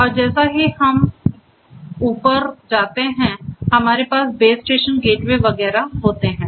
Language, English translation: Hindi, And as we go higher up we have the base station the gateway and so on